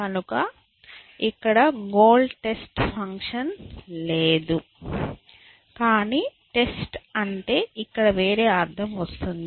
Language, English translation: Telugu, So, we do not have a goal test function, but by testing we mean something else here